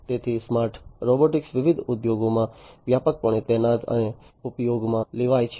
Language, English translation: Gujarati, So, smart robotics is widely deployed and used in different industries